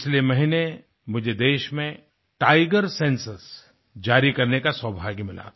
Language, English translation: Hindi, Last month I had the privilege of releasing the tiger census in the country